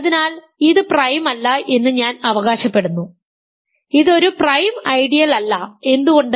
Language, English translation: Malayalam, So, this is not prime I claim, this is not a prime ideal why